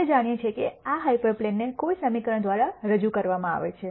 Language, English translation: Gujarati, We know that these hyper planes are represented by an equation